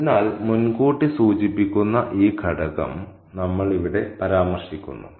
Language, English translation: Malayalam, So, we have this element of foreshadowing mentioned here